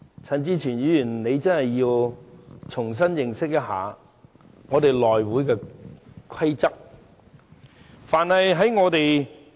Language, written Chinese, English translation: Cantonese, 陳志全議員真的需要重新認識一下議會的規則。, Mr CHAN Chi - chuen really needs to study the rules of the legislature all over again